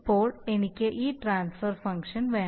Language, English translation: Malayalam, So now I obviously, I want that this transfer function